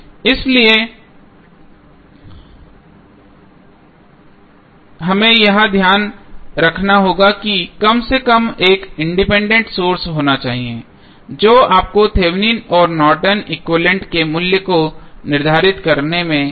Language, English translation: Hindi, So, this we have to keep in mind that there should be at least one independent source which helps you to determine the value of Thevenin and Norton's equivalent